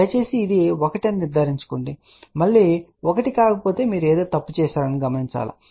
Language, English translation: Telugu, Please ensure this has to be 1 ok, if it is not 1 again you have done something wrong